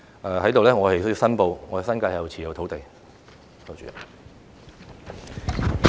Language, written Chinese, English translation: Cantonese, 我在這裏亦要申報，我在新界持有土地。, I would like to declare my interests here I own lands in the New Territories